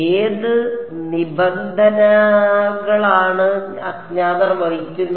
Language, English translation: Malayalam, Which terms carry the unknowns